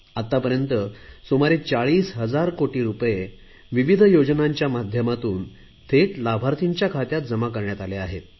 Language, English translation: Marathi, Till now around 40,000 crore rupees are directly reaching the beneficiaries through various schemes